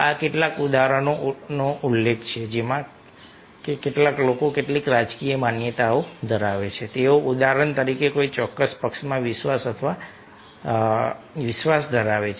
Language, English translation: Gujarati, mention like some people are having some political beliefs, they have faith are belief in some particular party, for example